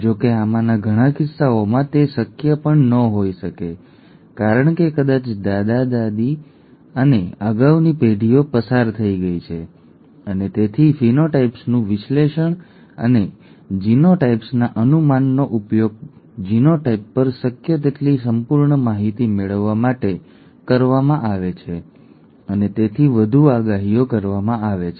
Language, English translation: Gujarati, However in many of these cases it may not be even be possible because maybe the grandparents and the previous generations have passed on and therefore the analysis of the phenotypes and the guess of the genotypes are used to get as complete an information on the genotype as possible and thereby make further predictions